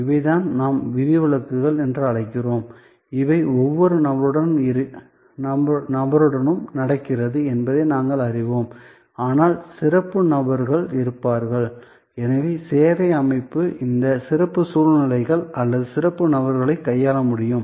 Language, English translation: Tamil, And these are what we call exceptions, so we know that, they are happening with every person, but there will be special persons and therefore, services system should able to handle this special circumstances or special people